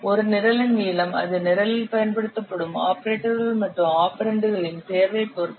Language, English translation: Tamil, The length of a program it will depend on the choice of the operators and operands used in the program